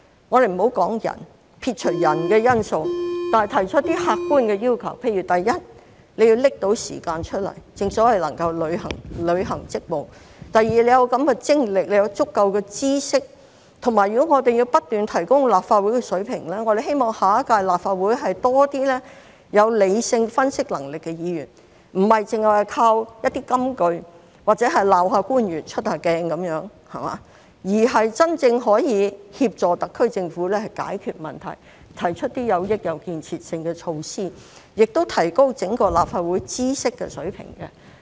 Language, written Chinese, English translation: Cantonese, 我們不說人，撇除人的因素，但要提出一些客觀要求，例如第一，要拿出時間來，正所謂能夠履行職務；第二，要有精力和足夠知識，以及如果我們要不斷提高立法會水平，我們希望下一屆立法會多一些有理性分析能力的議員，不是只靠一些金句，或者責罵官員、出一下鏡，而是真正可以協助特區政府解決問題，提出一些有益有建設性的措施，亦提高整個立法會知識水平。, Rather we should lay down some objective requirements . For example first they should have the time to perform their duties; second they should have the energy and sufficient knowledge . If we want to continuously raise the standard of the Legislative Council we hope that in the next term of the Legislative Council there will be more Members who have the ability to make rational analyses instead of playing soundbites or chiding officials or making appearances on the media